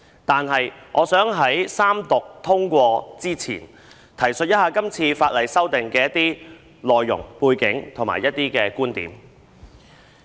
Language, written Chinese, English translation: Cantonese, 但是，我想在三讀通過《條例草案》之前，提述一下今次法例修訂的內容、背景和觀點。, However I would like to talk about the content and background of the legislative amendments and viewpoints on the Bill before it passes Third Reading